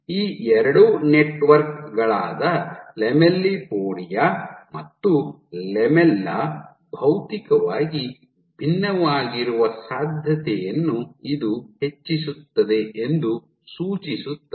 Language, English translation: Kannada, So, suggesting that this raises the possibility that these two networks, so I have lamellipodia and lamella are materially distinct